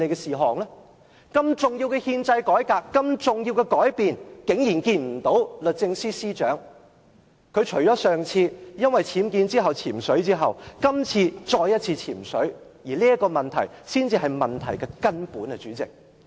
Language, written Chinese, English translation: Cantonese, 如此重要的憲制改變，律政司司長竟然沒有出席，她在迴避僭建問題而"潛水"後，今次再次"潛水"，這才是問題的根本，主席。, Given such an important constitutional change the Secretary for Justices absence from our meeting is startling . After shying away from us because of the illegal construction at home she once again stays away from the Chamber and such is the bottom of the problem